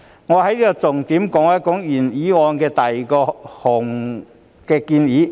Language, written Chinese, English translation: Cantonese, 我重點談談原議案的第二項建議。, I will focus on the proposal set out in item 2 of the original motion